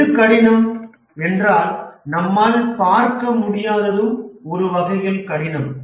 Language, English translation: Tamil, What is difficult, what is we are unable to see is also difficult to manage